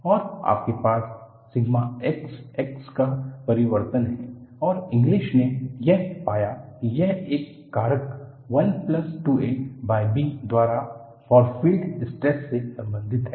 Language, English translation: Hindi, And, you have the variation of sigma x x and Inglis found that, this is related to the far field stress by a factor 1 plus 2 a by b